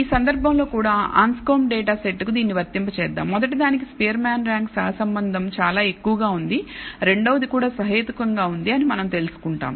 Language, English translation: Telugu, So, let us apply it to the Anscombe data set in this case also we find that the, for the first one the Spearman rank correlation is quite high in the second one also reasonably high